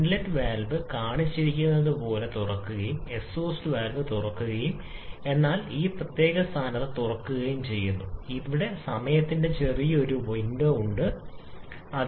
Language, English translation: Malayalam, If the inlet valve open as it is shown and the exhaust valve opens at this particular position, then there is a small period of time or small window of time during this both valves are open